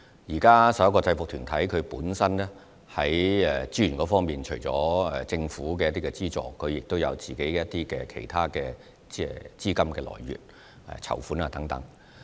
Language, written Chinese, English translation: Cantonese, 就這11個制服團體在資源方面，目前除了獲得政府資助外，他們亦有自己的其他資金來源，例如籌款等。, On resources front these 11 UGs have their own sources of funding such as fundraising in addition to Government subvention